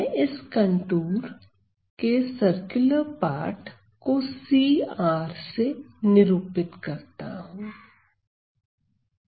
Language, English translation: Hindi, So, c; so let me denote the circular part of this contour by c R